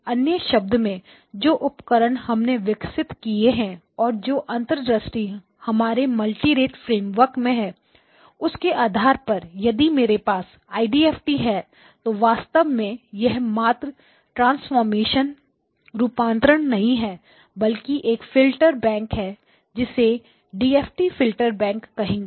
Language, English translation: Hindi, So in other words the tools that we have developed the insight that we have developed in our multirate framework where we say that okay if I have the IDFT it is actually not just a transformation it is actually a Filter Bank